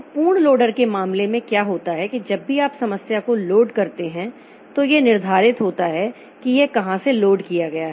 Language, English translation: Hindi, Now in case of absolute loader, what happens is that whenever you load the program, there is a fixed address from where it is loaded